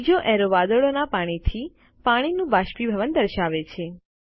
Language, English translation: Gujarati, The third arrow shows evaporation of water from water to the clouds